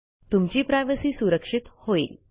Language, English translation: Marathi, your privacy is now completely protected